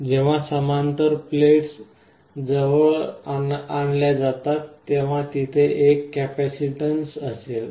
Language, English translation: Marathi, When two materials like parallel plates are brought close together, there will be a capacitance